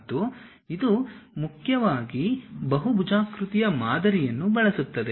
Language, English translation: Kannada, And it mainly uses polygonal modeling